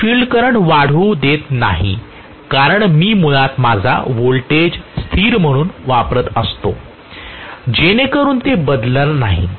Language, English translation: Marathi, I am not allowing the field current to increase because I am keeping basically my voltage applied as a constant so it is not going to change